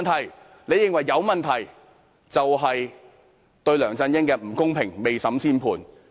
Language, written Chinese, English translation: Cantonese, 我們認為有問題，便是對梁振英不公平，未審先判。, If we consider that there are problems we are being unfair to LEUNG Chun - ying and we pass a judgment before trial